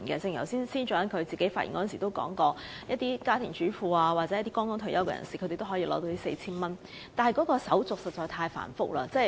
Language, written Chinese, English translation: Cantonese, 正如司長剛才發言時也提到，家庭主婦和剛退休的人士也可領取這 4,000 元，但手續實在太繁複。, As the Financial Secretary pointed out just now housewives and the newly - retired are all eligible for the 4,000 - handout . The application procedures however are too complicated